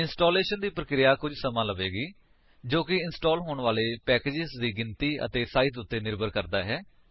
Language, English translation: Punjabi, The process of installation takes some time depending on the number and size of the packages to be installed